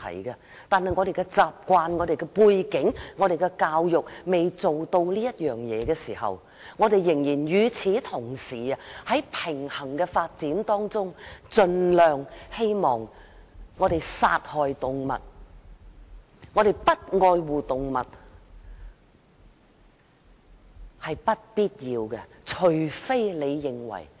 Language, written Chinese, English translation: Cantonese, 由於習慣、背景和教育，我們未能完全吃素，但與此同時，我們應尋求平衡發展，應盡量避免作出殺害動物和不愛護動物的行為。, Given our customs backgrounds and education we may not only take vegan food but we should at the same time pursue a balanced development and strive to avoid killing animals and treating animals cruelly